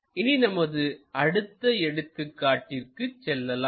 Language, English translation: Tamil, Let us move onto next one after working out that example